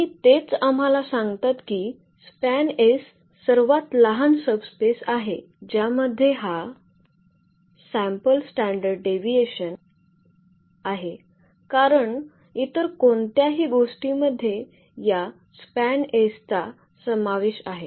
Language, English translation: Marathi, And that itself tell us that span S is the smallest subspace which contains this S because anything else which contains s will also contain this span S